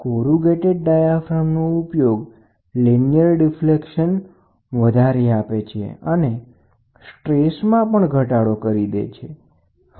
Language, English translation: Gujarati, So, use of corrugated diaphragm increases linear deflection and reduces stresses